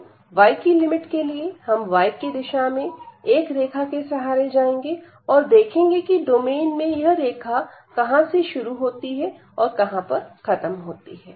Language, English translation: Hindi, So, for the limit of y, now we will go through a line in the y direction and see where it enters and where it leaves the domain